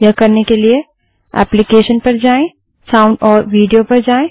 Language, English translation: Hindi, To do this, let us go to Applications gtSound amp Video